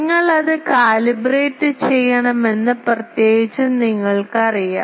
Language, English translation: Malayalam, Particularly you know that you need to calibrate it